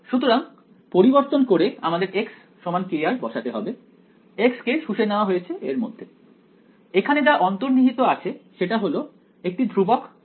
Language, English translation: Bengali, So, I had the substitution that k r is equal to x right the x is absorbed into it what is implicit over here was is a k is a constant right